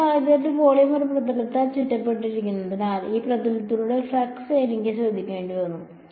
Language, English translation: Malayalam, In this case the volume was enclosed by one surface and so I had to take care of the flux through that surface right